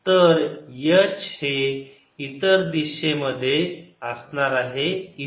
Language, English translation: Marathi, so h will be in the other direction here